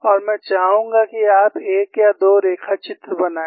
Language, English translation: Hindi, And I would like you to make one or two sketches; that is essential